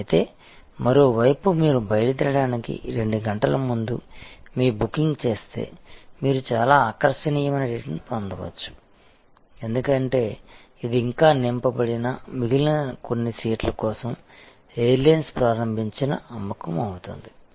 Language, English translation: Telugu, But, on the other hand if you actually make your booking 2 hours prior to departure, you might get a very attractive rate, because it will be almost a sale initiated by the air lines for the few remaining seats, which are not yet filled